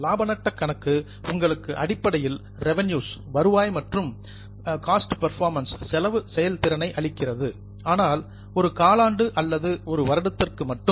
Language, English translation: Tamil, The profit and loss statement essentially gives you revenues and cost performance but for a particular quarter or a year